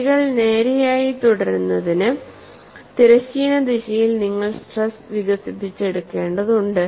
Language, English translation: Malayalam, And for the lines to remain straight, you need to have stresses developed in the horizontal direction